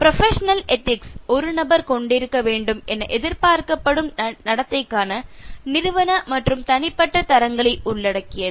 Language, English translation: Tamil, Professional ethics encompasses the organizational and personal standards of behaviour a professional individual is expected to possess